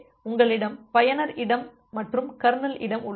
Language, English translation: Tamil, So, you have the user space and the kernel space